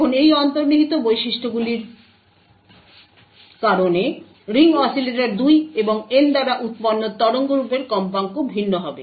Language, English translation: Bengali, And because of these intrinsic properties the frequency of the waveform generated by the ring oscillators 2 and N would be different